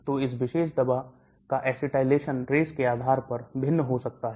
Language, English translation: Hindi, So the acetylation of this particular drug can vary depending upon the race